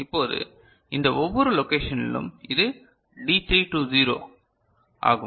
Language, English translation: Tamil, Now, in each of these locations this is D3 to 0